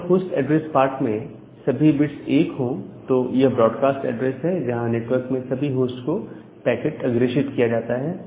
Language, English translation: Hindi, So, if all 1’s at the host address part is a broadcast address, where the packet is being forwarded to all the host in that network